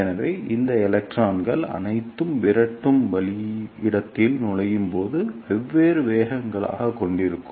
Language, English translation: Tamil, So, all these electrons will have different velocities as they enter in the repeller space